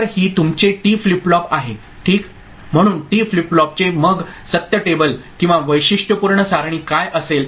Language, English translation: Marathi, So, this is your T flip flop ok, so this T flip flop then what would be it is truth table right or characteristic table